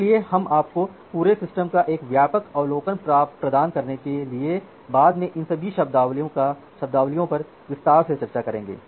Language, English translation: Hindi, So, we will discuss all these terminologies in details later on just giving you a broad overview kind of backside view of the entire system